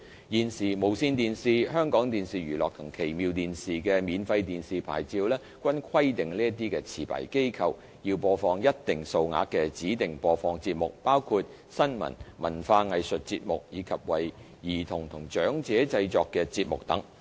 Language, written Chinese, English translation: Cantonese, 現時，無綫電視、香港電視娛樂及奇妙電視的免費電視牌照均規定這些持牌機構要播放一定數額的指定播放節目，包括新聞、文化藝術節目，以及為兒童及長者製作的節目等。, TVB HKTVE and Fantastic TV are currently required under their free TV licences to provide a minimum amount of positive programmes including news arts and culture programmes and programmes for children and senior citizens etc